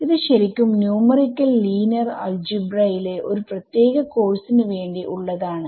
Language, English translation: Malayalam, So, here is where this is actually this is in itself for separate course in numerical linear algebra